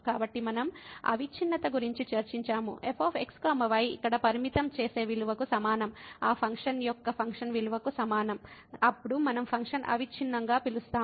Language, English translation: Telugu, So, we have discuss the continuity; that is equal to the limiting value here is equal to the function value of the of that function, then we call that the function is continuous